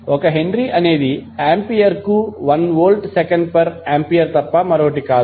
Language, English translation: Telugu, 1 Henry is nothing but L Volt second per Ampere